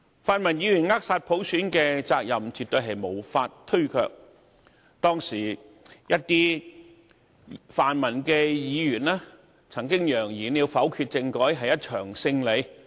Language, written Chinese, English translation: Cantonese, 泛民議員扼殺普選的責任絕對無法推卻，當時一些泛民議員曾揚言否決政改是一場勝利。, The pan - democratic Members definitely cannot deny their responsibility in stifling universal suffrage . At that time some pan - democratic Members declared the constitutional reform veto a victory